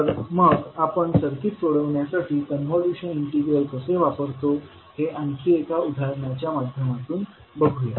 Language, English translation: Marathi, So let us see with one another example that how you will utilize the convolution integral in solving the circuit